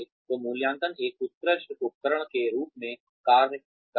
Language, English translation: Hindi, So, appraisal serve as an excellent tool